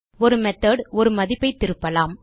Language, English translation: Tamil, A method can return a value